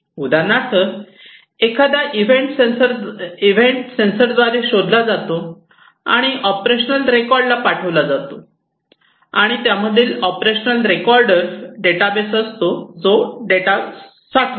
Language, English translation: Marathi, For example, an event is detected by a sensor and sent to the operational recorder and an operational recorder in it is a database, which stores the data